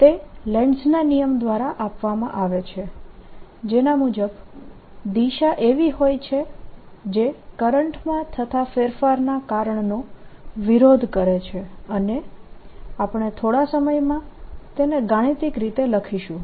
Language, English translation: Gujarati, and that is given by lenz's law, which says that the direction is such that it opposes because of change, and we'll put that mathematically in a minute